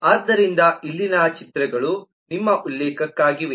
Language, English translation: Kannada, so here the pictures are for your reference